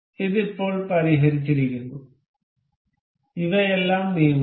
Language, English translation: Malayalam, This is fixed now and all these are moving